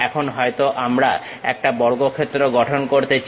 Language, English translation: Bengali, Now, maybe we want to construct a square